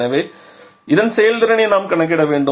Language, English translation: Tamil, So, we have to calculate the performance of this